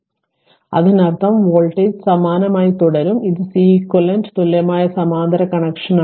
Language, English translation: Malayalam, So; that means, voltage remain same and this is Ceq equivalent for parallel connection